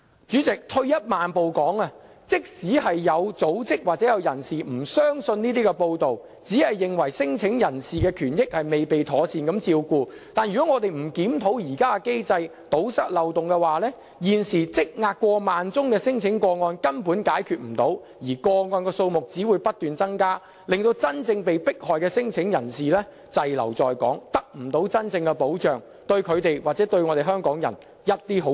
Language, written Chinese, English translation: Cantonese, 主席，退一萬步而言，即使有組織或有人不相信這些報道，只認為聲請人的權益未被妥善照顧，但如果我們不檢討現行機制，堵塞漏洞的話，現時積壓過萬宗的聲請個案根本無法解決，而個案數目只會不斷增加，令真正被迫害的聲請人滯留在港，得不到真正的保障，對他們或港人毫無好處。, Even though I make a compromise in this respect and accede to such remarks but we simply cannot resolve the backlog of over 10 000 cases if we do not review the current system and plug the loopholes . As a result the number of cases will only go up incessantly denying true protection to genuine claimants at risk of persecution . This will not offer any help to them or to the people of Hong Kong